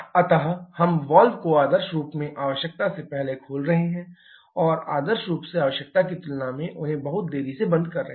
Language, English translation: Hindi, So, we are making the opening of the valve earlier than ideally required and closing them much delayed than ideally required